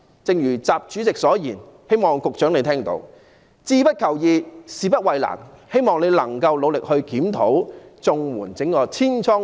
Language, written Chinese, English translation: Cantonese, 正如習主席所言，"志不求易，事不避難"，我希望局長聽到，也希望局長努力檢討綜援這個千瘡百孔的制度。, As President XI said set no easy goals and avoid no difficult tasks I hope the Secretary has heard that and I hope the Secretary will make an effort to review the problem - riddled CSSA system